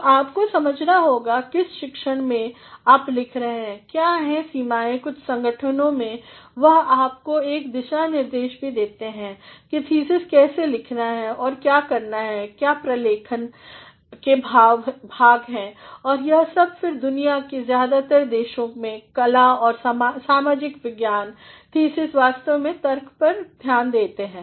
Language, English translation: Hindi, So, you have to understand, which discipline you are writing what are the limitations in some organizations they also provide you with a guideline as to how to write a thesis and what are the documentation parts and all and then in most of the countries of the world arts and social sciences thesis actually emphasize on arguments